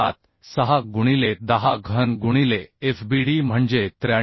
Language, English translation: Marathi, 76 into 10 cube into fbd is 93